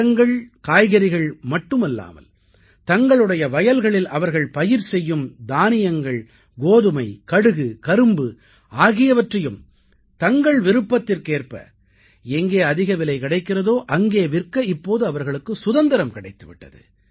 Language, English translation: Tamil, Now this power has also been imparted to other farmers of the country not only for marketing of the fruits and vegetables but whatever they are producing or cultivating in their fields, paddy, wheat, mustard, sugarcane, whatever they are growing they have now got the freedom to sell where they can get a higher price according to their wish